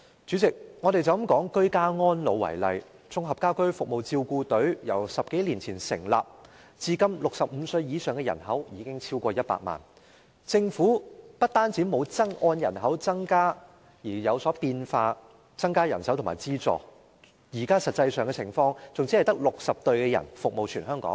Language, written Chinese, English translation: Cantonese, 主席，單以居家安老為例，綜合家居服務照顧隊由10多年前成立至今 ，65 歲以上的人口已超過100萬，政府不但沒有按人口增加而作出轉變，增加人手和資助，現在實際情況甚至是只有60支照顧隊服務全香港。, Since the Integrated Home Care Service Teams were set up some 10 years ago the number of people aged over 65 has exceeded 1 million . Not only did the Government make no changes to increase manpower and resources corresponding to the growth in the population . In the present actual situation there are even only 60 teams serving the whole territory